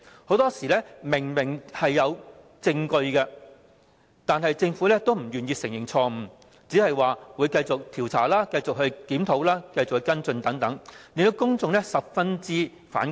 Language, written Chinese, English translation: Cantonese, 很多時明明已有證據，但政府仍不願意承認錯誤，只表示會繼續調查、檢討和跟進等，令公眾十分反感。, In many cases there is clear evidence but the Government is still reluctant to admit its mistakes and will only say that it will continue to investigate review and follow up the cases much to the discontent of the public